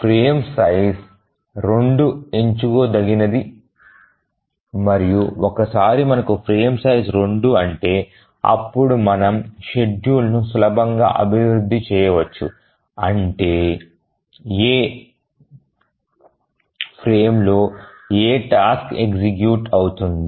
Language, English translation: Telugu, And once we have the frame size 2, then we can easily develop the schedule which frame, in which frame which task will execute